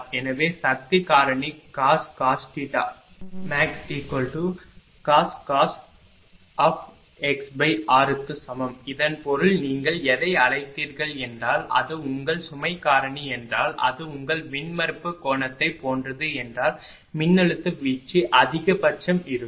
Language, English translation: Tamil, So, power factor is equal to cos theta max that is cos tan inverse x by r this means that if you if if the your what you call if that your ah power factor of the load if it is like ah same as the your ah same as your ah that impedance angle then voltage drop will be maximum right